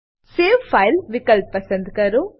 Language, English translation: Gujarati, Select Save file option